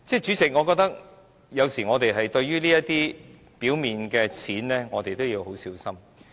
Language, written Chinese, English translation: Cantonese, 主席，我覺得我們有時要小心對待這些表面的錢。, President sometimes we have to carefully deal with this kind of revenue on paper